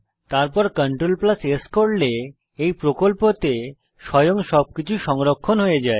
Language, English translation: Bengali, All future CTRL + S will automatically save into this project file